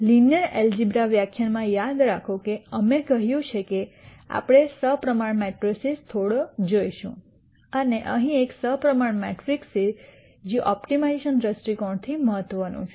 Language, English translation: Gujarati, Remember in the linear algebra lecture we said that we will be seeing symmetric matrices quite a bit and here is a symmetric matrix that is of importance from an optimization viewpoint